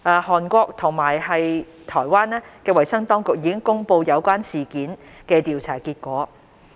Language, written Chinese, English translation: Cantonese, 韓國及台灣衞生當局已公布有關事件的調查結果。, Health authorities at Korea and Taiwan had also announced investigation results of relevant incidents